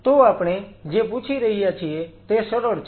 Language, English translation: Gujarati, So, what we are asking is simple